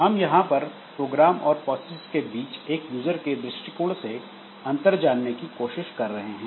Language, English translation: Hindi, So, we try to differentiate between programs and processes like from a user's perspective, so we are writing one program